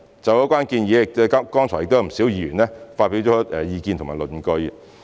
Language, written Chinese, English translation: Cantonese, 就有關建議，不少議員亦發表了意見及論據。, A number of Members have given their opinions and justifications on the proposals